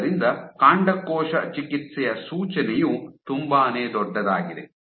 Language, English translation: Kannada, So, the implication for stem cell therapy is humongous